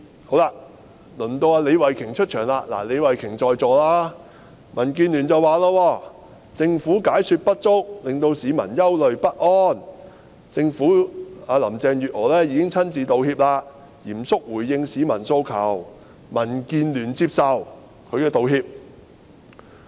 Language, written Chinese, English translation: Cantonese, 好了，輪到李慧琼議員出場——李慧琼議員現時也在席——民主建港協進聯盟說，政府解說不足，令市民憂慮不安，林鄭月娥已經親自道歉，嚴肅回應市民的訴求，民建聯接受其道歉。, Right it comes to the turn of Ms Starry LEE who is in the Chamber now . According to the Democratic Alliance for the Betterment and Progress of Hong Kong DAB the Governments explanation was inadequate arousing concerns and anxieties among the public but since Carrie LAM had already tendered an apology in person and seriously responded to the peoples aspirations DAB accepted her apology